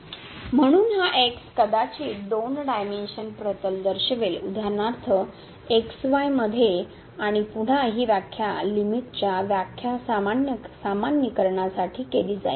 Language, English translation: Marathi, So, this maybe point in two dimensional plane for example, in plane and again, this definition will be carried for generalization the definition of the limit